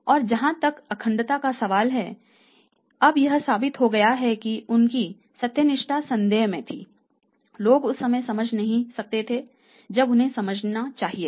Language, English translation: Hindi, Now it is proven fact that his integrity was at doubt people could not understand it in the at the time when they should have understood it